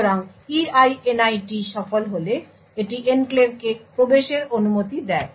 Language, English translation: Bengali, So, if EINIT is successful it allows the enclave to be entered